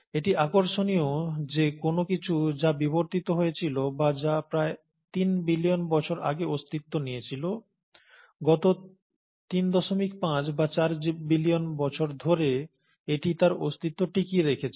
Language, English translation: Bengali, So it's interesting that something which evolved or which came into existence more than three billion years ago, has sustained it's survival for the last 3